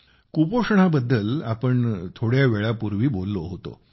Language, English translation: Marathi, We referred to malnutrition, just a while ago